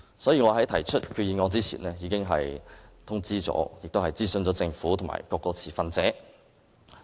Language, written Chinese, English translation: Cantonese, 所以，我在提出決議案之前，已經通知和諮詢政府和各個持份者。, Hence I already notified and also consulted the Government and all other stakeholders of my intention to move the resolution